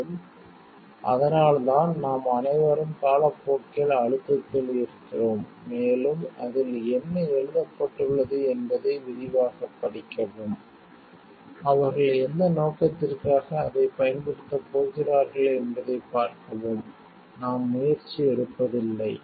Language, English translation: Tamil, And, that is why and we are all like maybe pressure is by time and, we do not take an effort to read in details what it is written and to see like, whether if what purposes they are going to use it